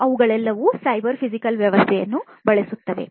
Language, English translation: Kannada, There are different applications of cyber physical systems